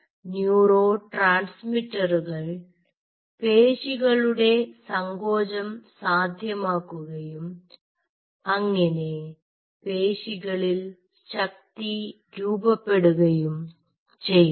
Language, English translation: Malayalam, those neurotransmitter secretion will lead to muscle contraction, further lead to muscle force generation